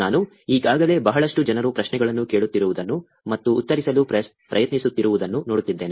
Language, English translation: Kannada, I already see a lot of people asking questions, and trying to answer